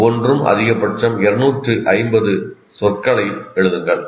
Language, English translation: Tamil, Just write maximum 250 words each